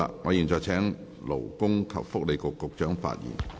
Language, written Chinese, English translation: Cantonese, 我現在請勞工及福利局局長發言。, I now call upon the Secretary for Labour and Welfare to speak